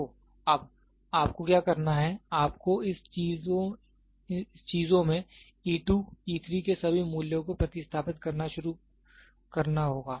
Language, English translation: Hindi, So, now, what you have to do is, you have to start substituting all the values of e 2, e 3 in this things